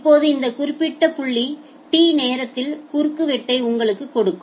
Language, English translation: Tamil, Now this particular point the cross section at time T it will give you